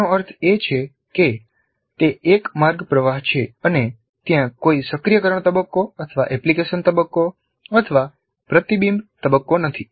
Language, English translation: Gujarati, That means it is a one way of flow and there is no activation phase, there is no application phase, there is no reflection phase